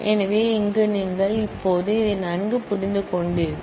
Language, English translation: Tamil, So, here you have now understood it very well